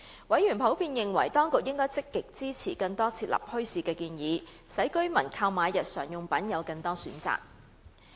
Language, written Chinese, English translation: Cantonese, 委員普遍認為當局應積極支持更多設立墟市的建議，使居民購買日常用品有更多選擇。, Members generally considered that the authorities should be more proactive in supporting proposals for setting up bazaars to provide residents with more choices to shop for basic necessities